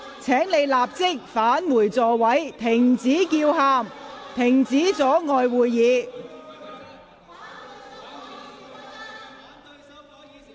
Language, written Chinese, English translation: Cantonese, 請你們立即返回座位，停止叫喊，不要阻礙會議進行。, Please return to your seats immediately stop shouting and refrain from impeding the proceedings of the meeting